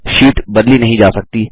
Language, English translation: Hindi, The sheet cannot be modified